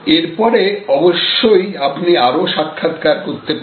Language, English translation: Bengali, And then of course, you can do some further interviews